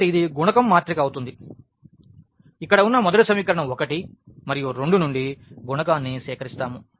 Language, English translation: Telugu, So, this will be the coefficient matrix where we will collect the coefficient from the first equation that is 1 and 2 there